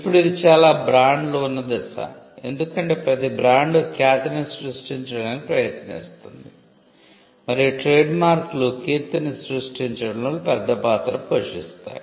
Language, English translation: Telugu, Now, this probably is the stage at which most brands are because, every brand is trying to create a reputation and trademarks do play a big role in creating reputation